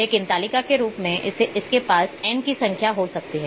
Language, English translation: Hindi, But in table form it will have it can have n number of attributes